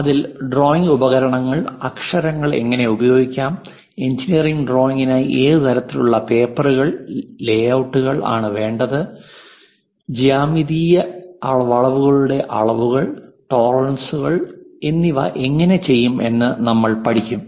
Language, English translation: Malayalam, In that we know about drawing instruments how to use lettering, and what kind of papers, layouts we have to use for engineering drawing, and representing geometrical curves dimensioning and tolerances we will cover